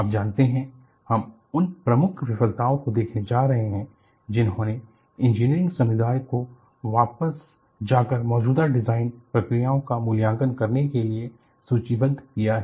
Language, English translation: Hindi, Now, we are going to look at the key failures that triggered the engineering community to sit back and evaluate the existing design procedures are listed